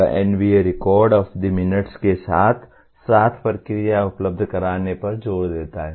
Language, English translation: Hindi, That NBA insists on this record of the minutes as well as the process to be made available